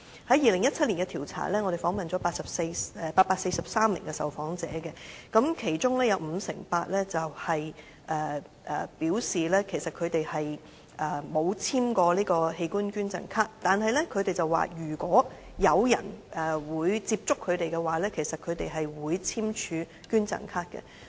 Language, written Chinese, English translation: Cantonese, 在2017年的調查中，我們訪問了843名受訪者，其中五成八表示，他們沒有簽署過器官捐贈卡，但他們表示，如果有人接觸他們的話，他們會簽署器官捐贈卡。, We interviewed 843 people in the 2017 survey and 58 % of the interviewees respond that they have not signed any organ donation card but they will do so if someone approaches them for signing up